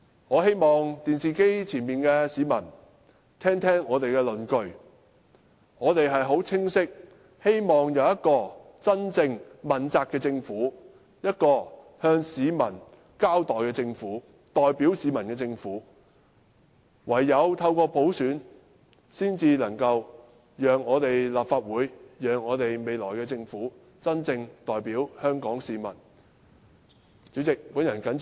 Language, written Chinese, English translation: Cantonese, 我希望電視機旁的市民聽一聽我們的論據，我們是很清晰地希望有一個真正問責的政府、一個向市民交代的政府、代表市民的政府，而唯有透過普選，才能使立法會和未來的政府真正代表香港市民。, I hope that members of the public who are watching the telecast now can listen to our arguments . We have made it clear that we hope to have a truly accountable government a government that is accountable to the public a government that represents the people . It is only through universal suffrage can we make the Legislative Council and the future government truly representative of the people of Hong Kong